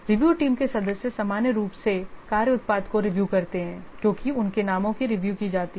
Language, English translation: Hindi, The review team members normally they review the work product, as their numbers are review